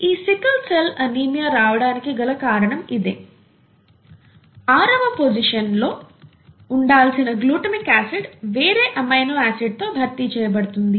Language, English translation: Telugu, ThatÕs the only reason why we get sickle cell anaemia; this glutamic acid at the sixth position has been replaced by another amino acid